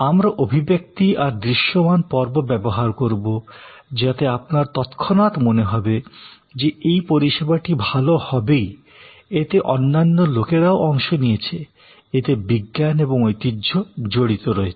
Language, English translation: Bengali, We will use expressions, physical episodes, where you immediately feel that this will be good, other people have taken part, there is science and heritage involved